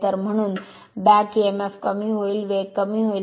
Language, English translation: Marathi, So, back Emf will decrease therefore, speed will decrease